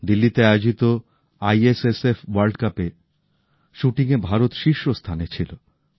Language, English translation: Bengali, India bagged the top position during the ISSF World Cup shooting organised at Delhi